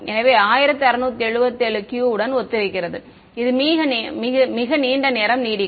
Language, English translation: Tamil, So, 1677 corresponds to the Q which lasts the longest ok